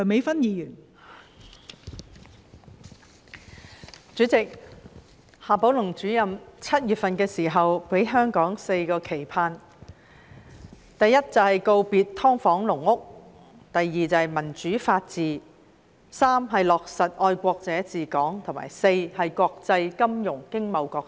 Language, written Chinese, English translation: Cantonese, 代理主席，夏寶龍主任在7月份時給了香港"四個期盼"，第一，告別"劏房"、"籠屋"；第二，民主法治；第三，落實愛國者治港；及第四，加強國際金融經貿角色。, Deputy President in July Director XIA Baolong presented to Hong Kong four expectations first bidding farewell to subdivided units and caged homes; second democracy and the rule of law; third the implementation of the principle of patriots administering Hong Kong; and fourth strengthening the role in international finance economy and trade